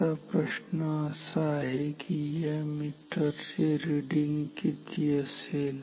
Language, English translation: Marathi, Now, the question is what will be the reading of the meter